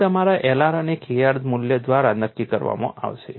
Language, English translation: Gujarati, So, that would be determined by your L r and K r values